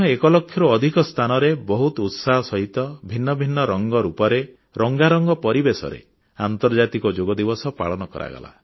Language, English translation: Odia, In India too, the International Yoga Day was celebrated at over 1 lakh places, with a lot of fervour and enthusiasm in myriad forms and hues, and in an atmosphere of gaiety